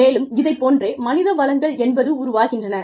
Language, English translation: Tamil, And, that is how, human resources develop